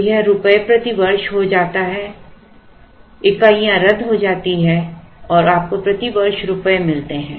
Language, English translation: Hindi, So, it becomes rupees per year the units get cancelled and you get rupees per year